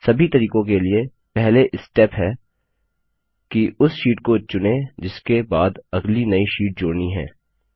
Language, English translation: Hindi, The first step for all of the methods is to select the sheet next to which the new sheet will be inserted